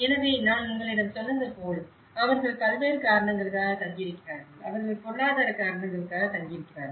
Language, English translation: Tamil, So, they are staying for various reasons as I said to you, they are staying for the economic reasons, okay